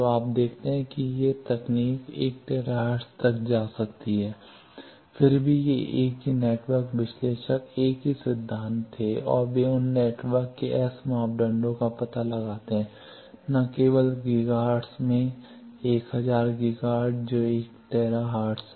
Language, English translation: Hindi, So, you see that these technology can go up to 1 tera hertz, still these same network analyzer, the same principle they were and they find out the S parameters of those networks even up to not only in Giga hertz, 1000 Giga hertz that is 1 tera hertz